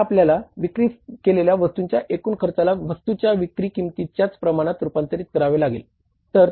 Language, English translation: Marathi, You have to now convert the total cost of goods sold in the same proportion as the proportion there is a change in the value of the sales